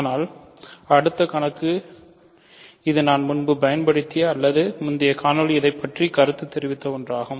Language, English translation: Tamil, But next problem this is something that I used earlier or I commented about this in an earlier video